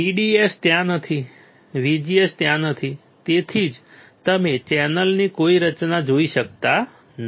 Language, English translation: Gujarati, VDS is not there, VGS is not there that is why you cannot see any formation of channel